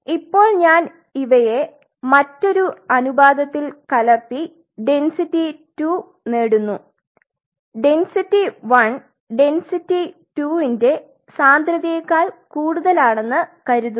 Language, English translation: Malayalam, Now I mix them in another ratio I achieve a density two and assuming density 1 is more than density 2